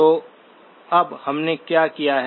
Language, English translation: Hindi, So now what have we done